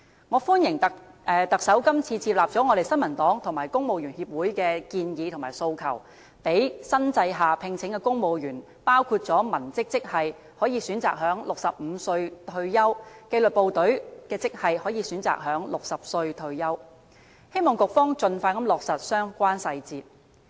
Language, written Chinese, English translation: Cantonese, 我歡迎特首今次接納了我們新民黨和政府人員協會的建議和訴求，讓新制下聘請的公務員，包括文職職系可以選擇在65歲退休，紀律部隊的職系可以選擇在60歲退休，希望局方盡快落實相關細節。, I welcome the Chief Executive for having accepted the proposals and aspirations of the New Peoples Party and the Government Employees Association and giving civil servants employed under the new system a choice to retire at 65 or 60 . I hope that the Bureau concerned will expeditiously work out the relevant details